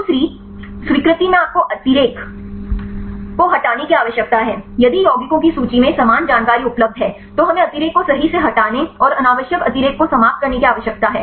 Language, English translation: Hindi, In the second accept you need to remove the redundancy, if same information available right in the list of compounds, then we need to remove the redundancy right and eliminate the redundant want